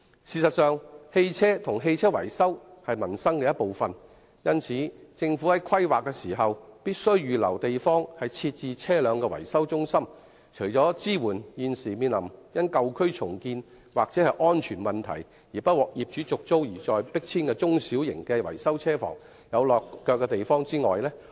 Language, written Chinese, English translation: Cantonese, 事實上，車輛及車輛維修均是民生的一部分，因此，政府在進行規劃時，必須預留地方設置車輛維修中心，令現時因舊區重建或安全問題，不獲業主續租而被迫遷的中小型維修車房有"落腳地"。, In fact vehicles and vehicle maintenance are a part of peoples livelihood . Thus in the course of planning the Government must reserve some sites for the operation of small - and medium - sized vehicle maintenance workshops which have to be relocated due to redevelopment of old districts or non - renewal of tenancy agreements due to safety concerns